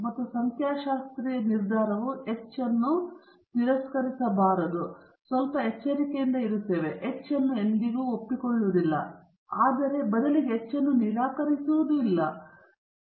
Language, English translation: Kannada, And the statistical decision may be either do not reject H naught; we are a bit careful, we don’t accept H naught, we instead say that do not reject H naught